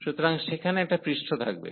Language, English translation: Bengali, So, there will be a surface